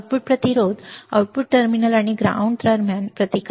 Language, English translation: Marathi, Output resistance, is the resistance between the output terminal and ground